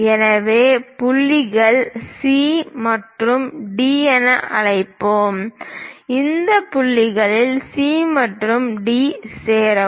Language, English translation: Tamil, So, let us call points these as C and D; join these points C and D